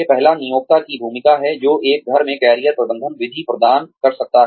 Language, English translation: Hindi, The first is, role of employer, who can provide, a tailored in house Career Management method